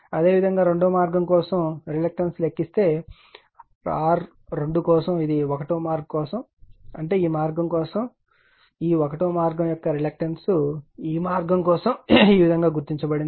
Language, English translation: Telugu, Similarly, for R 2 if you calculate reactance for path 2, this is for path 1; that means, this path right that reactance of this path 1 is for this path it is marked as like this